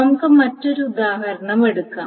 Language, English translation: Malayalam, Now let us take the another example which is the following